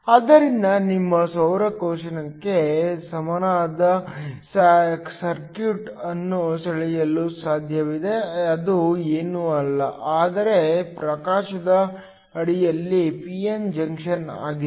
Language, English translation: Kannada, So, it is possible to draw an equivalent circuit for your solar cell which is nothing, but a p n junction under illumination